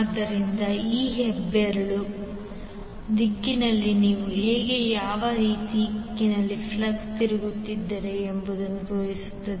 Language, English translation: Kannada, So this thumb direction will show you how and in what direction you are flux is rotating